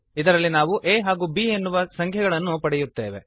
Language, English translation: Kannada, In this we accept the numbers a and b